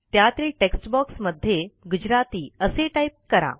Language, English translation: Marathi, In the textbox, type the word Gujarati